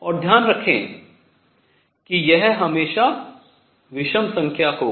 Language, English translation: Hindi, And keep in mind this will be always be odd number